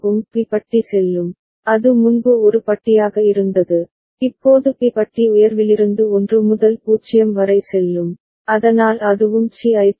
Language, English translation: Tamil, B bar will go so that was A bar before, now B bar will go from high to low 1 to 0, so that will also trigger that will trigger C